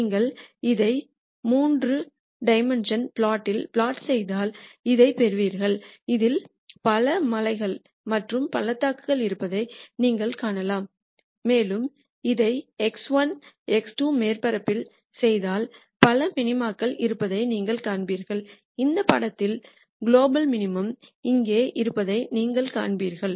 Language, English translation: Tamil, If you plot this in a three d plot you will get this you can see there are many hills and valleys in this and you will notice if we do the projection of this on to the x 1, x 2 surface you will see that there are several minima in this picture and you will see that the global minimum is here